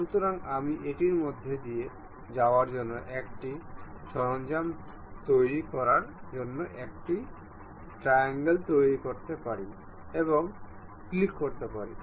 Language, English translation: Bengali, So, that I can really construct a triangle make a tool to pass through that and click ok